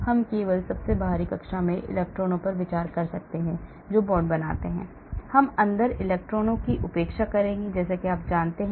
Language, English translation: Hindi, we may consider only the electrons in the outermost orbit which form the bond, we will ignore electrons inside, like that you know